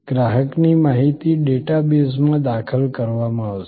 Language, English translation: Gujarati, Customer information will be entered into the data base